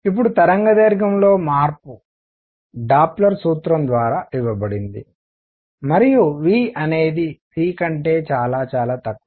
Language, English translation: Telugu, Now change in the wavelength is given by Doppler’s formula and v is much much less than c